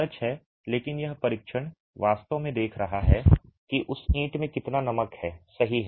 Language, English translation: Hindi, But this test is actually looking at how much of salts does that brick itself have